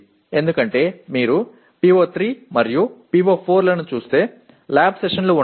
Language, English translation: Telugu, Because if you look at PO3 and PO4 where the lab sessions are involved actually